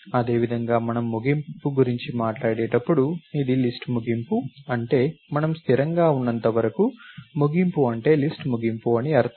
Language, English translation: Telugu, Similarly, when we talk about the end, this is the end of the list that is what we mean in this as long as we are consistent, end means end of the list